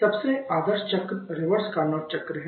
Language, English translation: Hindi, The most ideal cycle there, is the reverse Carnot cycle